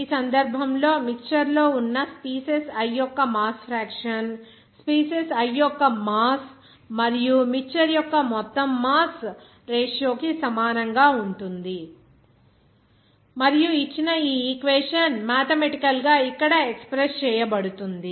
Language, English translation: Telugu, In this case, the mass fraction of the species i that is present in the mixture is the ratio of the mass of the species i to the total mass of the mixture and is mathematically expressed by here on this equation given